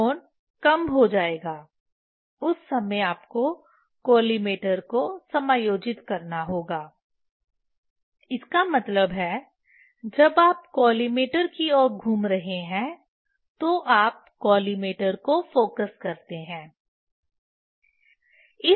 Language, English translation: Hindi, Angle will decrease that time you have to adjust collimator; that means, when you are rotating towards collimator, you focus the collimator